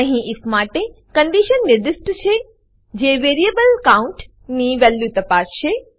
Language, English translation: Gujarati, Here we have specified a condition for if which checks the value of variable count